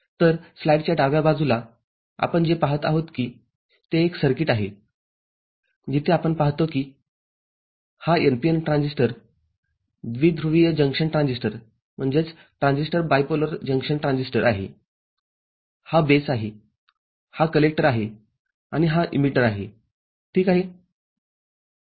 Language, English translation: Marathi, So, what we see in the left hand side of the slide is a circuit where we see this is an NPN transistor bipolar junction transistor, this is the base, this is the collector and this is the emitter ok